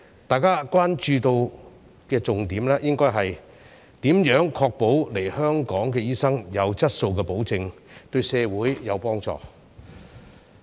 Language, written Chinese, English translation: Cantonese, 大家關注的重點，應該是如何確保來港醫生的質素，對社會有幫助。, Our focus of concern should be how to ensure that the quality of doctors coming to Hong Kong will benefit the community